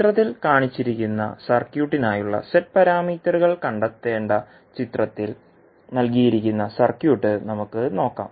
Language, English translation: Malayalam, Let us see the circuit which is given in the figure we need to find out the Z parameters for the circuit shown in the figure